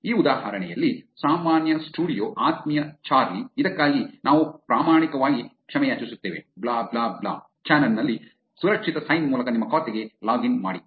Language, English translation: Kannada, In this example the Usual Studio Dear Charlee, We sincerely apologize for this login to your account via secure sign on channel blah blah blah